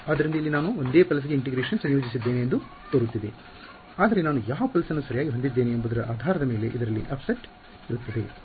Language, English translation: Kannada, So, over here it looks like I am integrating over the same pulse yeah, but there will be an offset in this depending on which pulse I am in irght